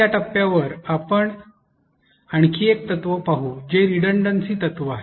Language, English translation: Marathi, At this point let us now look at another principle which is the redundancy principle